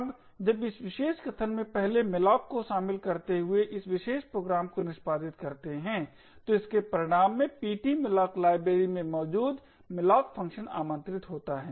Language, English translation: Hindi, Now when this particular statement comprising of the 1st malloc of this particular program gets executed it results in the malloc function present in their ptmalloc library to be invoked